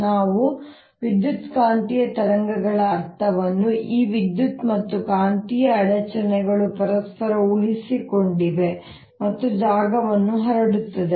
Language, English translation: Kannada, are this electrical and magnetic disturbances that sustained each other and propagating space